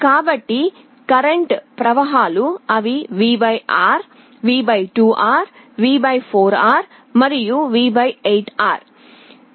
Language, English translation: Telugu, So, the currents that are flowing they will be V / R, V / 2R, V / 4R, and V / 8 R